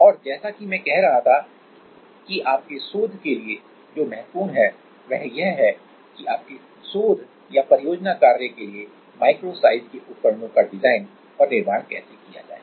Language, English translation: Hindi, And as I was saying that directly for your research which is what is important is how to design and make micro scale devices for your research or project work